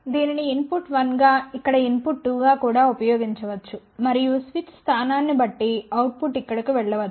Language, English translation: Telugu, This can be also used as input one here input 2 here and output can go over here depending upon the switch position